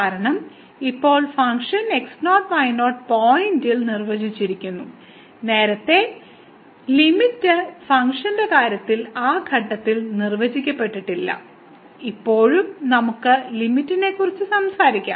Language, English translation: Malayalam, Because, now the function is defined at naught naught point; earlier in the case of limit function may not be defined at that point is still we can talk about the limit